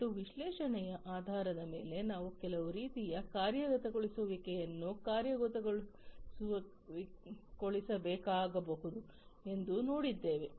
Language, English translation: Kannada, And based on the analytics we have also seen that some kind of actuation may be required to be implemented, right